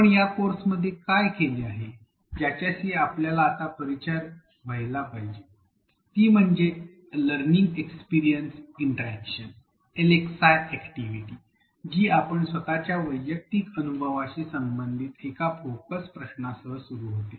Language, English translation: Marathi, What we have done in this course, which you would be familiar with by now is are the learning experience interaction activities LxI activities which begin with a focus question related to your own personal experience